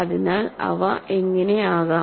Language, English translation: Malayalam, So, what can it be